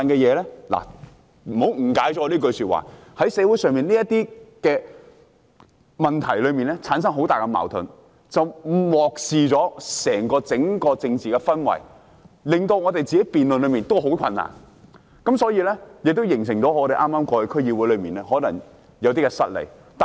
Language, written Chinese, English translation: Cantonese, 請別誤解我這句說話，在社會上，這些問題產生了很大矛盾，結果令人漠視了整個政治氛圍，也令我們的辯論變得相當困難，而且，這亦形成了我們在剛過去的區議會選舉中有些失利的形勢。, In society these issues have given rise to a great conflict causing people to ignore the overall political atmosphere and making our debate fairly difficult as a result . Moreover this has also put us in an unfavourable position in the District Council Election which was just over